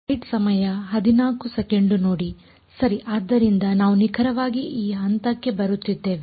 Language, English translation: Kannada, Exactly ok, so, we are coming exactly to that